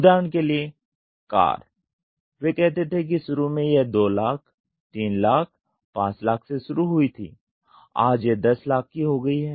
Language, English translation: Hindi, for example, Car, cars they say initially it started with 2 lakhs, 3 lakhs, 5 lakhs today it has gone to 10 lakhs